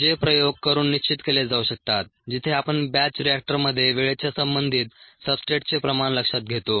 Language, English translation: Marathi, they can be determined by doing an experiment, ah, where we follow the substrate concentration with respect to time in a batch reactor